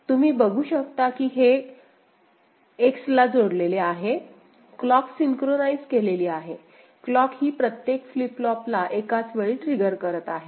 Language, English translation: Marathi, And you can see this is going to X is the clock synchronized, synchronous circuit, clock is you know, triggering both the flip flop simultaneously